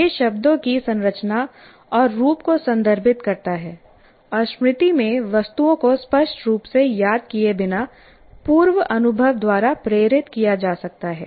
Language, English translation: Hindi, It refers to the structure and form of words and objects in memory that can be prompted by prior experience without explicit recall